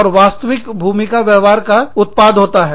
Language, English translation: Hindi, And, the actual role behaviors, are the output